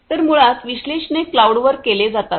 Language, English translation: Marathi, So, So, basically the analytics is performed at the cloud